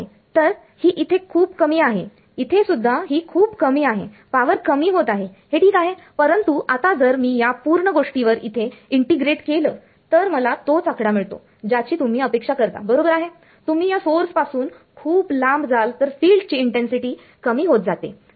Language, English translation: Marathi, So, its low over here it's even low over here the power is dropping that is ok, but now if I integrate over this whole thing over here I get the same number that is what you expect right you go far away from this source the field intensity drops